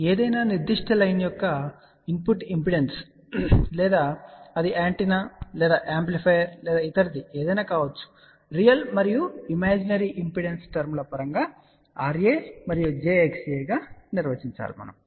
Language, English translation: Telugu, So, input impedance of any particular line or it can be of an antenna or an amplifier or other components can be defined in terms of real and imaginary terms R A and j X A